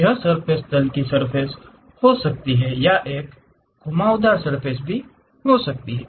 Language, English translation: Hindi, This surface can be plane surface or it can be curved surface